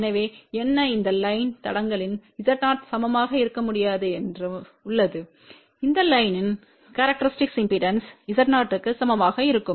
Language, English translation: Tamil, So, whatever is the characteristic impedance of this line will not be equal to Z 0 the characteristic impedance of this line will also be equal to Z 0